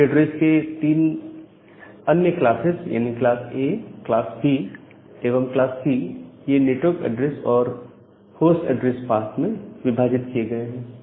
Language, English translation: Hindi, The other three classes of IP addresses class A, class B, and class C, they are divided into the network address and the host address part